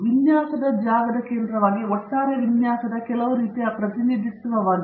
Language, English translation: Kannada, As the center of the designs space, is some kind of representation of the overall design